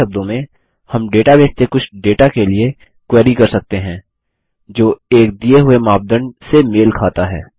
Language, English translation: Hindi, In other words, we can query the database for some data that matches a given criteria